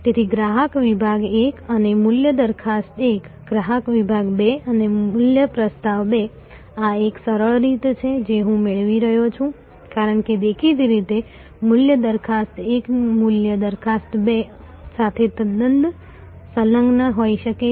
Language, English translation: Gujarati, So, customer segment 1 and value proposition 1, customer segment 2 and value proposition 2, this is the simplistic way I am deriving because; obviously, value proposition 1 may be quite allied to value proposition 2